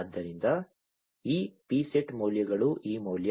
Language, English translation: Kannada, So, these are this value the pset values right